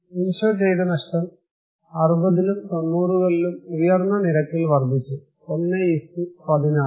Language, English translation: Malayalam, Insured loss increased at in higher rate in 60s and 90s; 1:16